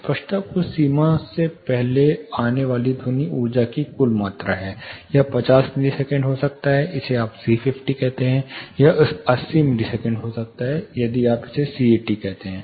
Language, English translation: Hindi, Clarity is the total amount of the sound energy arriving before certain threshold, it can be 50 milliseconds if you call it C50, it can be 80 milliseconds if you call it C80